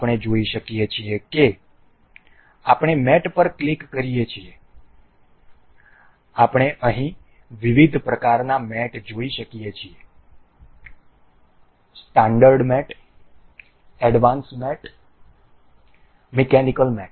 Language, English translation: Gujarati, We can see if we click on mate, we can see different kinds of mates here standard mates, advanced mates, mechanical mates